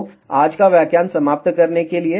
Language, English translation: Hindi, So, to conclude today's lecture